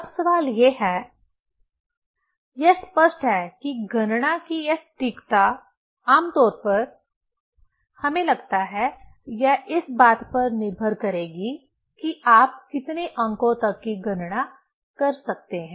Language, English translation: Hindi, Now, question is: it is obvious that this accuracy of calculation will depend on generally, we think, it will depend on how many, upto how many digit you are able to calculate